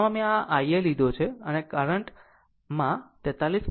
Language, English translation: Gujarati, So, we have taken this IL and this is your 43